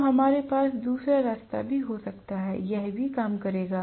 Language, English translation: Hindi, So, we can have the other way round also it would have work